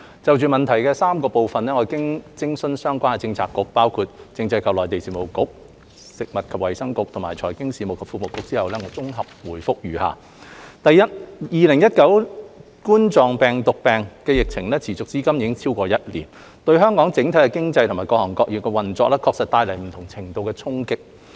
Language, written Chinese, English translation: Cantonese, 就質詢的3部分，經諮詢相關政策局，包括政制及內地事務局、食物及衞生局和財經事務及庫務局後，我綜合回覆如下：一2019冠狀病毒病疫情持續至今已經超過一年，對香港整體經濟和各行各業的運作帶來不同程度的衝擊。, Having consulted relevant Policy Bureaux including the Constitutional and Mainland Affairs Bureau the Food and Health Bureau and the Financial Services and the Treasury Bureau I give a consolidated reply to the three - part question as follows 1 The COVID - 19 epidemic has lasted over a year bringing different degrees of impact to Hong Kongs economy as a whole and to the operation of various sectors